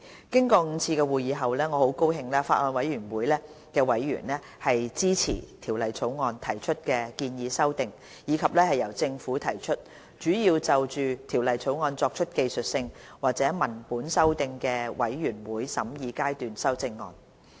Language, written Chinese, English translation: Cantonese, 經過5次會議後，我很高興法案委員會委員支持《條例草案》提出的建議修訂，以及由政府提出，主要就《條例草案》作出技術性或文本修訂的全體委員會審議階段修正案。, I am very pleased that after the five meetings members of the Bills Committee expressed support for the amendments proposed by the Bill as well as the predominately technical or textual Committee stage amendments CSAs proposed by the Government